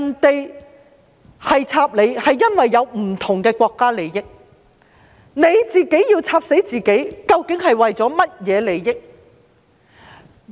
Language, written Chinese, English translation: Cantonese, 別人"插你"是因為有不同的國家利益，但你自己"插死"自己是為了甚麼利益？, Others stab you out of the interests of their countries . Yet what is the benefit of stabbing yourself to death?